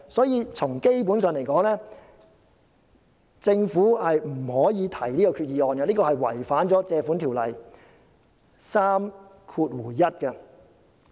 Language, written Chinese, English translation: Cantonese, 因此，基本上來說，政府不可提出這項決議案，因為決議案違反了《借款條例》第31條。, Basically the Government cannot propose the Resolution for the Resolution is in violation of section 31 of the Ordinance